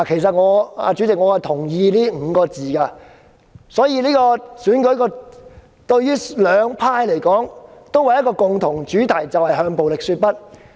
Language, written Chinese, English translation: Cantonese, 主席，我同意這5個字，所以這次選舉對於兩方黨派而言有一個共同主題，就是"向暴力說不"。, President I agree to this saying . Therefore this Election has a common theme ie . to say no to violence to the political parties and groupings on both sides